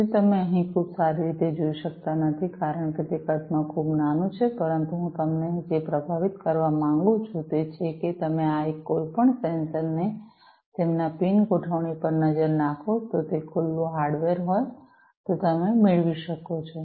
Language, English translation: Gujarati, So, you cannot see over here very well because it is very small in size, but you know so, what I would like to impress upon you is you can get any of these different sensors look at their pin configuration, you can, you know, if it is a open hardware you can get easily get access to these pin configurations